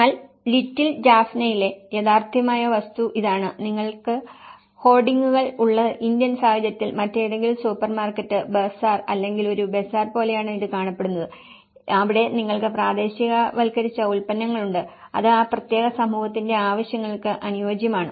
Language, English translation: Malayalam, But the little Jaffna where the reality is this, it is looking like any other supermarket, bazaar or a bazaar in an Indian context where you have the hoardings, where you have the localized products, which is suitable for that particular community needs